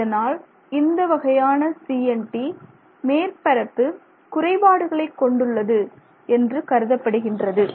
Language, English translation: Tamil, So, they are considered as CNTs having surface defects